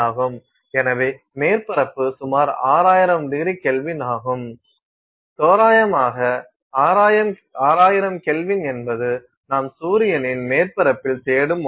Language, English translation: Tamil, So, surface of the is approximately 6,000ºK, roughly about 6,000K is what you are looking at for the surface of the sun